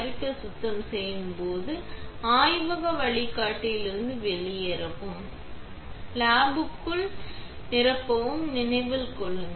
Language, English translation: Tamil, When you are done with the cleaning, remember to logout out of lab mentor and fill in the logbook